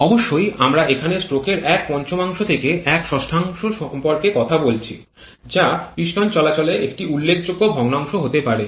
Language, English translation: Bengali, So, this is not a small fraction surely here we are talking about one fifth to one sixth of a stroke which can be a quite significant fraction of piston movement